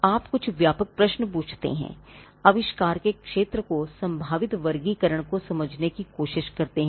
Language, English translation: Hindi, Now, you ask certain broad questions, try to understand the field of invention the probable classification into which it will fall